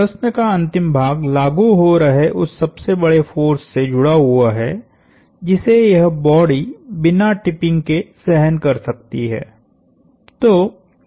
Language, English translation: Hindi, The last part of the question has to do with the largest applied force that this body can withstand without tipping